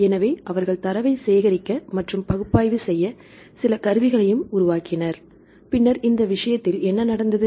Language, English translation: Tamil, So, they started collecting the data and then they also developed some tools to analyze the data right then what happened in this case